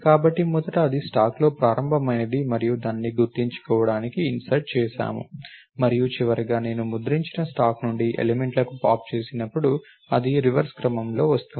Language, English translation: Telugu, So, first that is an initialization at the stack and then we inserted it to be remember and finally, when I pop to elements from the stack which is what I printed, it is coming in reverse order